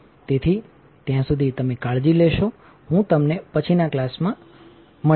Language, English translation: Gujarati, So, till then you take care I will see you in the next class bye